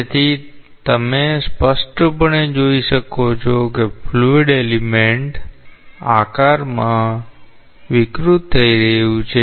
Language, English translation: Gujarati, So, you can clearly see that the fluid element is deforming